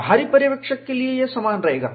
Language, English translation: Hindi, For a external observer, it will remain identical